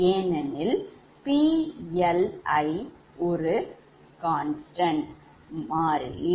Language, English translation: Tamil, also, note that pli is a constant